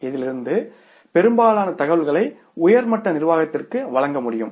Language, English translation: Tamil, Most of the information out of this can be presented to the top level management